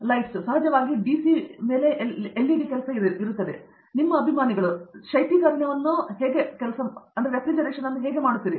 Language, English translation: Kannada, Lights, of course, LED's work on DC; How do you make your fans, your refrigeration